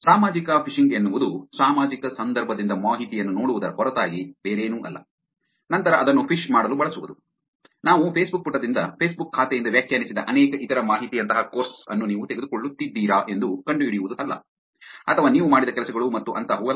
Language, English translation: Kannada, Social phishing is nothing but looking at the information from the social context then using that to actually phish, it is not about finding whether you are taking a course that could be many other information that I defined on from a Facebook page, from the facebook account, things that you've done and things like that